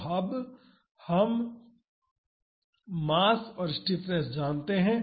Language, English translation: Hindi, So, now, we know the mass and the stiffness